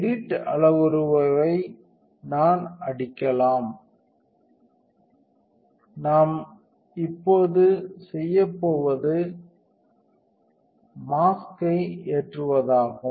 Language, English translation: Tamil, We can hit edit parameter, what we are going to do now is the load the mask